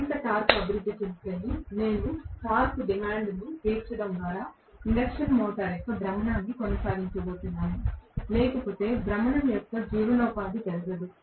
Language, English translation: Telugu, Only if there is more torque developed, I am going to sustain the rotation of the induction motor by meeting the torque demand, otherwise there is no way the sustenance of the rotation will not take place